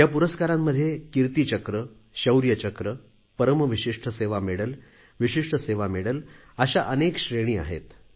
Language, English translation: Marathi, There are various categories of these gallantry awards like Kirti Chakra, Shaurya Chakra, Vishisht Seva Medal and Param Vishisht Seva Medal